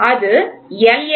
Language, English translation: Tamil, So, that is L